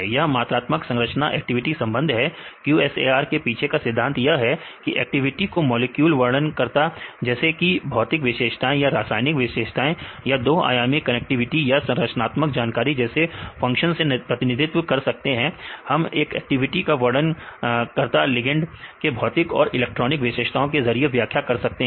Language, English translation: Hindi, It is the quantitative structure activity relationship, the principle behind is QSAR is the activity can be represented as a function of molecular descriptors like the physical properties or chemical properties or 2 dimensional connectivities or the structural information right we can explain the activity in terms of the descriptors right physical and electronic properties of this ligands